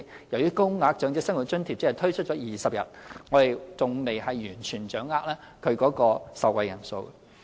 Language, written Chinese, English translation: Cantonese, 由於高額長者生活津貼只推出了20日，我們還未完全掌握其受惠人數。, As the Higher OALA has only commenced for 20 days we still do not have a full picture of the number of beneficiaries